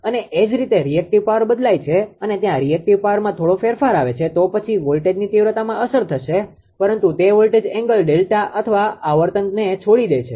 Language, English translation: Gujarati, And if the similarly if the reactive power changes right there is small change in reactive power then voltage magnitude will be affected, but it leaves the your what you call voltage angle delta or the frequency